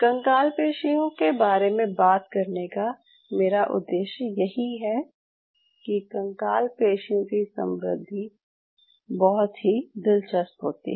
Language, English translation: Hindi, So when I started this skeletal muscle with you, this was one of the objective I want to tell you that skeletal muscle growth is very interesting